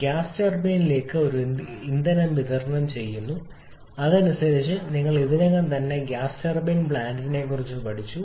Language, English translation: Malayalam, A fuel is being supplied to the gas turbine and accordingly you already learned about the gas turbine plant